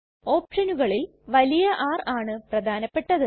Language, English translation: Malayalam, Among the options R is an important one